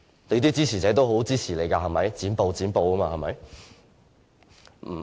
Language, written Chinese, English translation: Cantonese, 你的支持者也很支持你"剪布"，對嗎？, Your supporters also support you to cut off filibustering right?